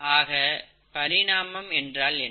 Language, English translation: Tamil, So coming to evolution, and what is evolution